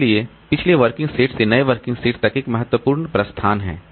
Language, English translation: Hindi, So, there is a significant departure from the previous working set to the new working set